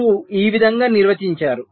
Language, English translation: Telugu, so how are they defined